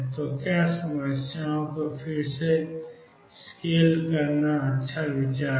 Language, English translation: Hindi, So, is good idea to rescale the problem